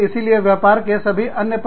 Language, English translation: Hindi, So, all of the other aspect of the business, take a higher priority